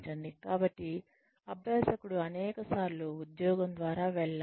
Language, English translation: Telugu, So, have the learner, go through the job, several times